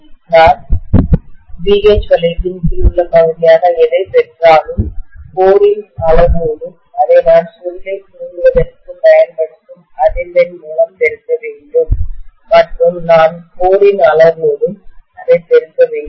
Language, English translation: Tamil, So whatever I get as the area under BH loop, I have to multiply that by the frequency with which I am exciting the coil and also I have to multiply that by the volume of the core